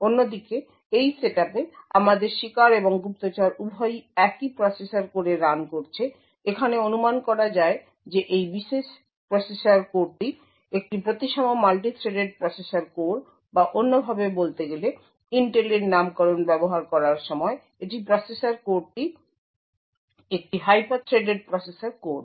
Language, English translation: Bengali, In this setup on the other hand we have both the victim and the spy running on the same processor core, the assumption over here is that this particular processor core is a symmetrically multi threaded processor core or in other words when using the Intel’s nomenclature this processor core is a hyper threaded processor core